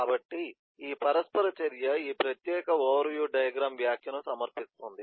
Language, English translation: Telugu, so this interaction submit comment, this particular overview diagram